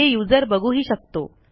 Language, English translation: Marathi, It is visible to the user